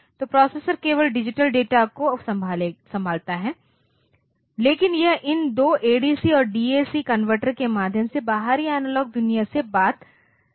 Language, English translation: Hindi, So, that the processor handles digital data only, but it can talk to the outside analog world through these two ADC and DAC converters